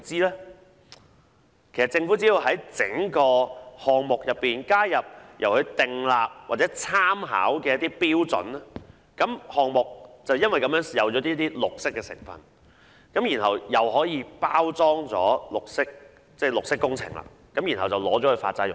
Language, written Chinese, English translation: Cantonese, 其實，政府只要在整個項目中加入由其訂立或參考的標準，項目便有少許"綠色"成分，可以包裝成綠色工程，然後用作發債融資。, As a matter of fact the Government can simply add standards set by itself or make pertinent references in the projects in order to package them as green public works for bond issuance